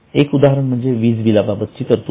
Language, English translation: Marathi, One example is provision for electricity charges